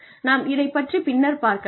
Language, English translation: Tamil, We will talk about that, a little later